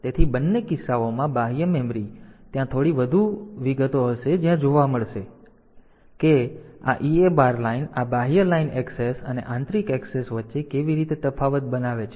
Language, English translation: Gujarati, So, in both the cases external memory, there will be some more detail the where will see how this EA bar line makes difference between this external line access and internal access